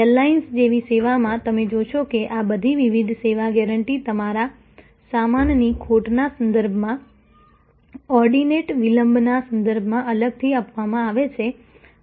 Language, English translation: Gujarati, So, in a service like airlines, you will see that all these different service guarantees are given separately with respect to your baggage loss ,with respect to in ordinate delays